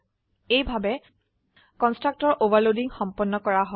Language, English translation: Assamese, This is how constructor overloading is done